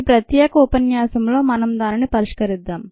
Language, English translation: Telugu, let us solve that in this particular lecture